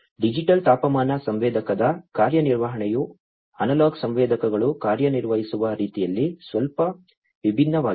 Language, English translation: Kannada, The functioning of a digital temperature sensor is bit different from the way, the analog sensors work